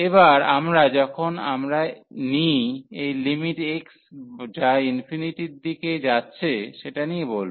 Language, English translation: Bengali, And then we will be talking about, when we take this limit x approaches to infinity